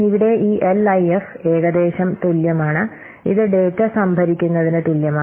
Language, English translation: Malayalam, So here this LIF, this equates roughly, this is equivalent to the data stores